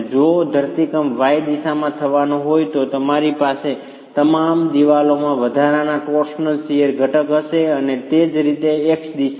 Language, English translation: Gujarati, If the earthquake were to happen in the wide direction you will have an additional torsional shear components in all the walls and similarly in the X direction